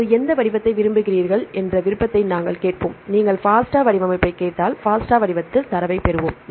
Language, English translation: Tamil, We will ask for the option which format do you want, if you ask for the FASTA format, we will get the data in FASTA format right